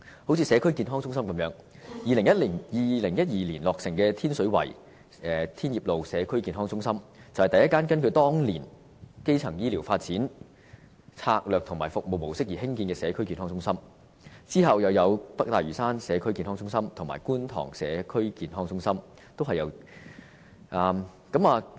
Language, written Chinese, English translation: Cantonese, 正如社區健康中心一樣 ，2012 年落成的天水圍社區健康中心，是第一間根據當年基層醫療發展策略和服務模式而興建的社區健康中心，之後又有北大嶼山社區健康中心和觀塘社區健康中心，均是由......, As to community health centres completed in 2012 the Tin Shui Wai Community Health Centre Tin Yip Road is the first community health centre established according to the primary health care strategy and mode of operation . After that the North Lantau Community Health Centre and Kwun Tong Community Health Centre were also established